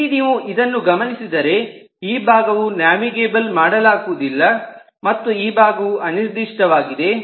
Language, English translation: Kannada, so here, if you look into this, this side is not navigable and this side is unspecified